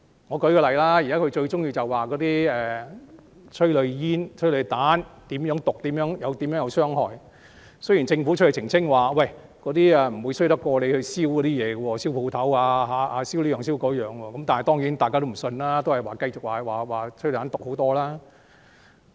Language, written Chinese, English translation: Cantonese, 我舉個例子，他們現在最喜歡指催淚煙、催淚彈有多毒、有多大傷害，雖然政府已澄清，催淚煙不會比他們燒商鋪或各種物品所產生的毒害差，但大家當然不相信，只是繼續說催淚彈更毒。, Let me cite an example . Currently they are keen on saying that tear gas and tear gas rounds are poisonous and harmful even though the Government has already clarified that the harm of tear gas is in no way comparable to the harm caused by the burning of shops and all kinds of items by protesters . Yet they do not believe and keep saying that tear gas rounds are more poisonous